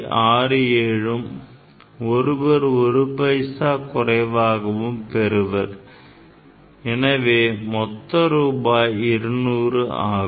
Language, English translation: Tamil, 67 and another people will get less than 1 paisa; 1 paisa less another person will get; so, total 200, ok